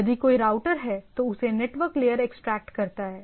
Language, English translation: Hindi, If there is a router it gets extracted up to the network layer